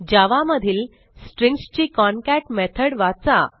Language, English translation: Marathi, Read about the concat method of Strings in Java